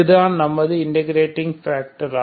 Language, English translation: Tamil, So what is the integrating factor